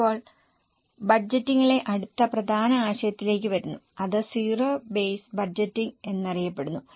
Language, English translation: Malayalam, Now coming to the next important concept in budgeting that is known as zero base budgeting